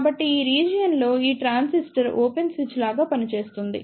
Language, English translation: Telugu, So, in this region this transistor acts like a open switch